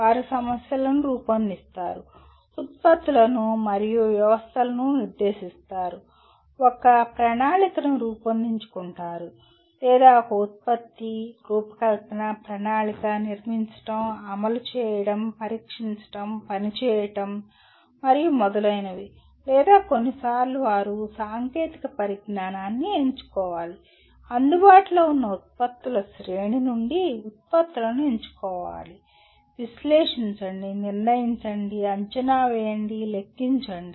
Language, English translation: Telugu, They formulate problems, specify products and systems, conceive a plan or conceive a product, design, plan, architect, build, implement, test, operate and so on or sometimes they have to select a technology, select products from available range of products, analyze, determine, estimate, calculate